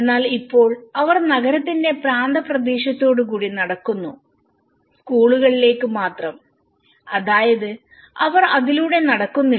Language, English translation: Malayalam, But now, they are walking on the periphery of the town and only to the school which means they are not walking from this